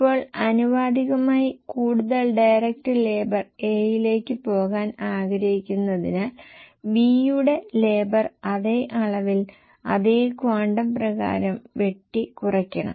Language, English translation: Malayalam, Now proportionately since we want more direct labour to go to A, we will cut down the labour for B in the same proportion by the same quantum